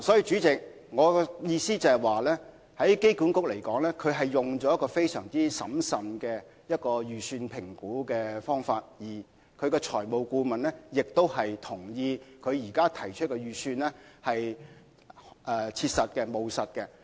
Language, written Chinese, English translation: Cantonese, 主席，機管局採用了非常審慎的方法評估預算，而財務顧問亦同意，現時提出的預算是務實的。, President AA had assessed the estimated cost very prudently and the financial advisor also agreed that the present estimation was pragmatic